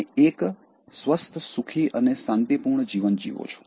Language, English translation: Gujarati, You live a healthy, happy and peaceful life